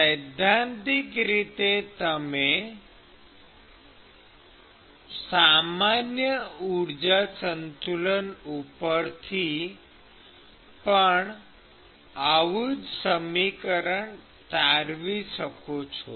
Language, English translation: Gujarati, So, in principle, you could derive the same equation from the generalized energy balance also